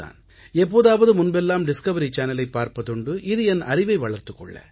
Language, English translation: Tamil, Earlier I used to watch Discovery channel for the sake of curiosity